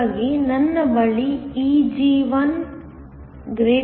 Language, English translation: Kannada, So, I have Eg1 > Eg2